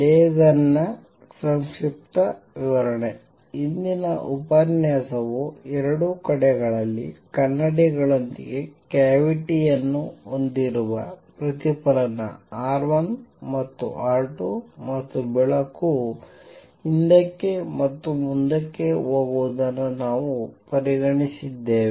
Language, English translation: Kannada, The previous lecture we considered case where I have a cavity with mirrors on two sides with reflectivity R 1 and R 2 and light going back and forth